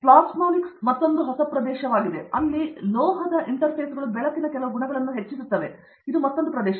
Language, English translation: Kannada, Plasmonics is another new area, where metal interfaces can enhance certain properties of light and so that is another area